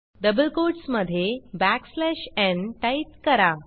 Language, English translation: Marathi, Within double quotes, type backslash n